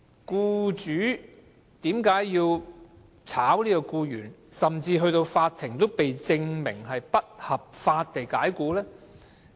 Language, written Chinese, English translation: Cantonese, 僱主為何要解僱僱員，甚至被法庭證明是不合法地解僱？, Why did an employer dismiss an employee and the dismissal might even be considered as unlawful by the court?